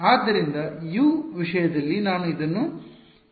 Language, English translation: Kannada, So, in terms of U what will I write this as